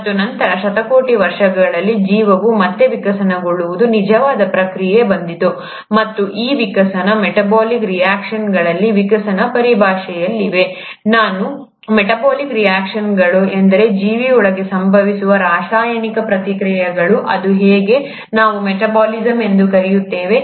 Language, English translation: Kannada, And then came the actual process from where the life went on evolving again over billions of years, and these evolutions were in terms of evolutions in metabolic reactions, what I mean by metabolic reactions are the chemical reactions which happen inside a living organism, is how we call as metabolism